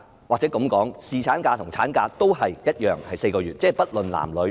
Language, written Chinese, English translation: Cantonese, 姑勿論侍產假或產假，都是一樣的，都是4個月，而且不論男、女。, Whether paternity leave or maternity leave they are the same thing which lasts for four months regardless of gender